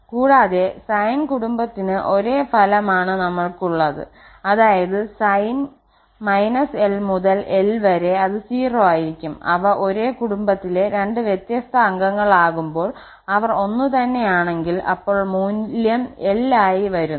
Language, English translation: Malayalam, Or minus l to l sin for the sine family also we have the same result that it is 0 when they are two different members of the family and if they are the same then the value is coming as l